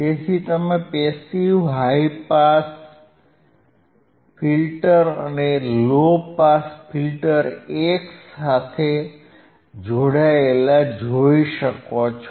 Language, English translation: Gujarati, So, you can see the passive high pass filter and low pass filter these are connected together